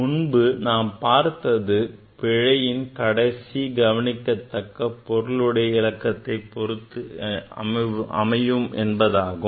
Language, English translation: Tamil, Earlier we came to know that error will be at this last significant figure